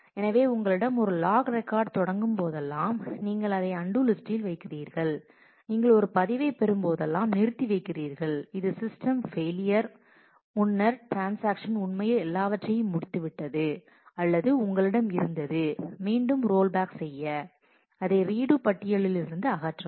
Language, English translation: Tamil, So, ma whenever you have a log record start, then you put it to the undo list and whenever you get a log record which is committed abort which says that before the system failure the transaction actually had either committed that it finished everything or you had to roll back, then you remove that from the undo list